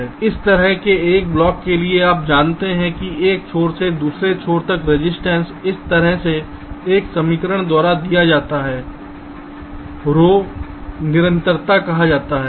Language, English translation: Hindi, now for such a block, you know that the resistance from one end to the other is given by an equation like this: rho is the constant called the resistivity